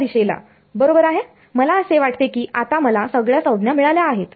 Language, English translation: Marathi, R hat direction right I think I have got all these terms right now